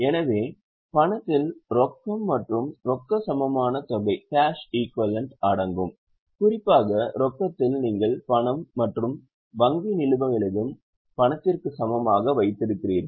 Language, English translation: Tamil, So cash includes cash plus cash equivalent, particularly in cash you are having cash and bank balances